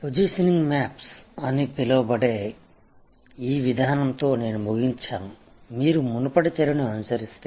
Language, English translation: Telugu, I will conclude with this approach, which is called positioning maps very easy now, that if you are followed the earlier discussion